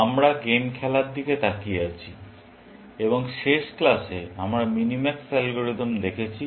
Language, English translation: Bengali, We are looking at game playing and in the last class, we saw the minimax algorithm